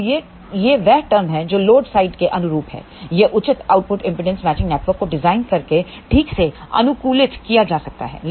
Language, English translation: Hindi, Now this is the term which corresponds to the load side, this can be optimized properly by designing a proper output impedance matching network